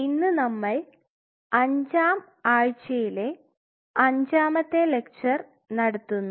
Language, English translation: Malayalam, So, today we will be doing the fifth lecture of the fifth week